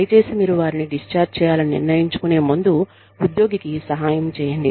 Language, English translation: Telugu, Please help the employee, before you decide to discharge them